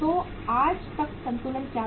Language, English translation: Hindi, So what was the balance till date